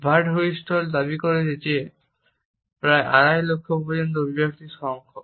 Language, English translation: Bengali, Birdwhistell has claimed that up to 2,50,000 expressions are possible